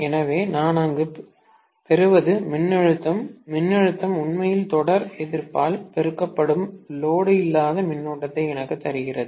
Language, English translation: Tamil, So, what I get there is the voltage, the voltage is actually giving me the no load current multiplied by the series resistance